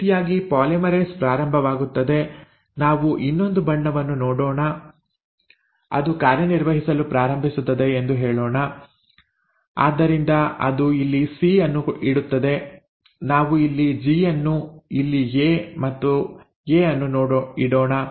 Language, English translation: Kannada, So this is how the polymerase will start, so let us give another colour, so let us say it starts acting so it will put a C here, we will put a G here, it is an A here and A again